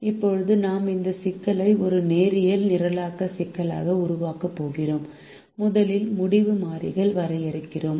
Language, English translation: Tamil, now we are going to formulate this problem as a linear programming problem and we first define the decision variables